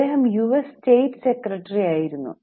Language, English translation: Malayalam, He was the secretary of the state of US